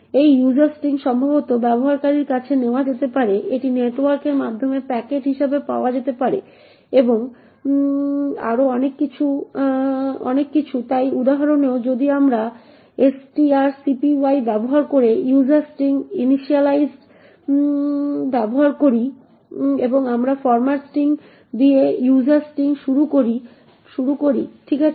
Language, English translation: Bengali, This user string could be perhaps taken from the user, it could be obtained from as a packet through the network and so on, so in this example however we use user string initialised using string copy and we initialise user string with this format string okay